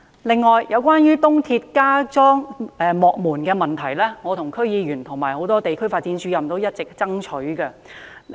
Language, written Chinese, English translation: Cantonese, 此外，有關就東鐵加裝幕門的問題，是我和區議員、很多地區發展主任一直爭取。, Moreover installing automatic platform gates at East Rail Line stations is something I and also District Council members and many community development officers have been lobbying for